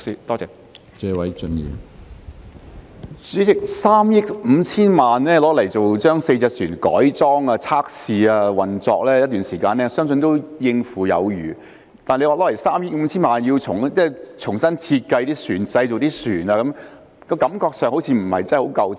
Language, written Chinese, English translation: Cantonese, 主席，用3億 5,000 萬元將4艘渡輪改裝、測試及運作一段時間，相信是足夠有餘的。但是，如果用3億 5,000 萬元重新設計及製造船隻，感覺上好像不太足夠。, President while I believe 350 million is more than enough to convert and test four ferries and operate them for a certain period of time this 350 million seems not quite sufficient to redesign and manufacture vessels